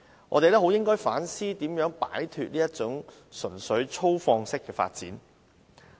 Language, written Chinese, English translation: Cantonese, 我們應反思如何擺脫這種純粹粗放式的發展。, We should reflect on how to stay away from this kind of purely extensive development of the tourism industry